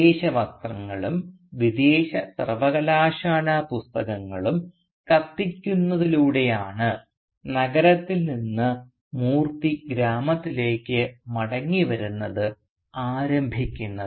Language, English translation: Malayalam, And indeed Moorthy's return to the village from the city is initiated by his burning in a bonfire his foreign clothes along with his foreign university books